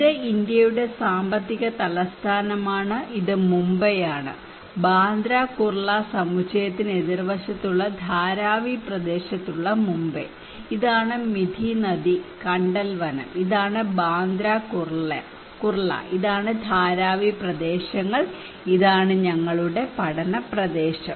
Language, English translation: Malayalam, This is Mumbai, the financial capital of India, this is also Mumbai at Dharavi area close opposite to Bandra Kurla complex, and this is Mithi river, mangrove forest and this is Bandra Kurla and this is Dharavi areas okay, this is our study area